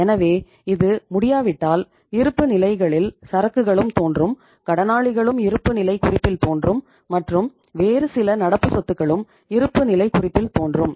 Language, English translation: Tamil, So it means if it is not possible so inventory also appear in the balance sheets, sundry debtors also appear in the balance sheet and some other current assets also appear in the balance sheet